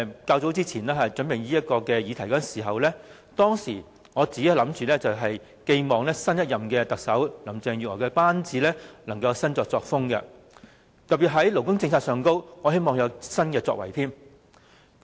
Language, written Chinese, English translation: Cantonese, 早前，當我為這項議題作準備時，我寄望新一任特首林鄭月娥的班子會有新作風，特別希望他們在勞工政策上會有新作為。, Some time ago when I was preparing for the discussion about this question I expected that the team led by new Chief Executive Carrie LAM would adopt a new style and I particularly hoped that they would come up with new initiatives in labour policies